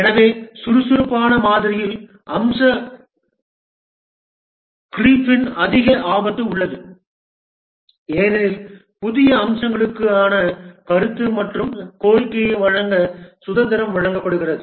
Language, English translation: Tamil, So, there is a higher risk of feature creep in the agile model because the freedom is given to give feedback and request for new features and so on